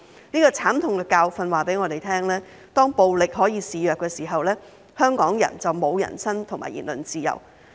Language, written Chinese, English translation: Cantonese, 這個慘痛的教訓告訴我們，當暴力可以肆虐的時候，香港人就沒有人身及言論自由。, This painful lesson tells us that when violence is allowed to run rampant Hong Kong people will have no freedom of the person and of speech